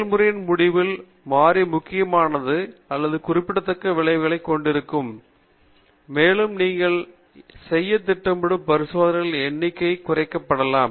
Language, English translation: Tamil, If a variable is not having an important or a significant effect on the outcome of the process, then it may be kept fixed, and you also reduce the number of experiments you are planning to do further